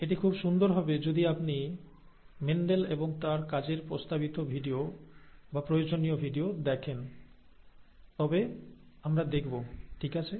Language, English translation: Bengali, It will be very nice if you can see the recommended video or the required video on Mendel and his work, we will see that, okay